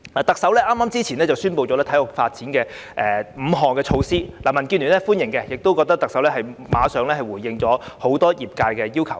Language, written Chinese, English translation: Cantonese, 特首較早前宣布5項體育發展措施，民建聯對此表示歡迎，亦認為特首馬上回應了業界多項要求。, DAB welcomes the five sports development measures announced by the Chief Executive earlier and considers that they are the Chief Executives prompt response to various demands from the sports community